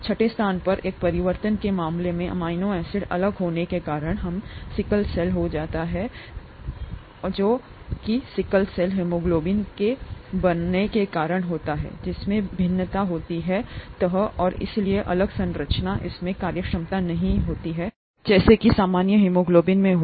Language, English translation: Hindi, In the case of one change at the sixth position, the amino acid being different, we get sickle cell anaemia, that is because of sickle cell haemoglobin being formed, which has different folding and therefore different, it does not have the functionality that is associated with the normal haemoglobin